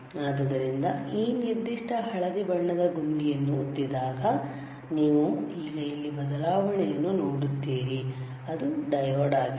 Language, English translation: Kannada, So, when you press the mode this particular yellow colour button you will see the change here now it is diode